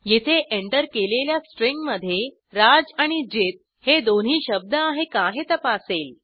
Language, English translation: Marathi, Here it checks whether the entered string contains both the words raj and jit